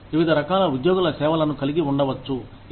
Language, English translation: Telugu, You could have various types of employee services